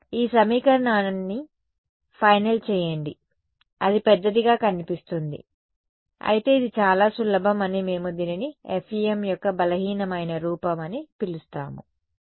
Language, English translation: Telugu, Final this equation that we get it looks big, but it actually very easy we call this is the weak form of the FEM ok